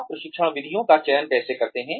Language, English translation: Hindi, How do you select, training methods